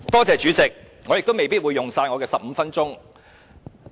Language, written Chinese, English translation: Cantonese, 主席，我未必會用盡15分鐘。, President I may not use up my 15 - minute speaking time